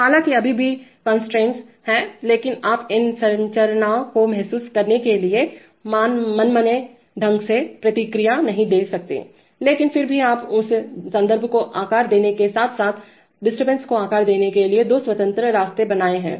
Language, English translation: Hindi, Although there are constraints still you cannot have arbitrary responses realized to this structure but still you have now created two independent avenues for shaping that reference as well as shaping the disturbance